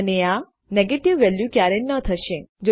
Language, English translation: Gujarati, And this will never be a negative value